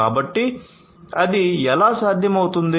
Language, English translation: Telugu, So, how it is possible